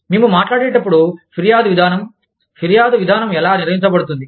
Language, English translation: Telugu, When we talk about, the grievance procedure, how is a grievance procedure, handled